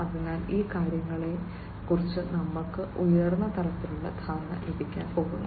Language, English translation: Malayalam, So, these things we are going to get a high level understanding about